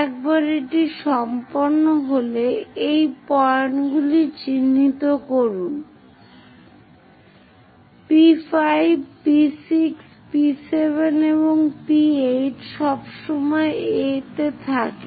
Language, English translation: Bengali, Once it is done mark these points, P5, P6, P7 and P8 is always be at A